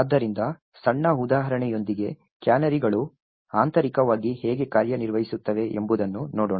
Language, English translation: Kannada, So, let us see how the canaries actually work internally with a small example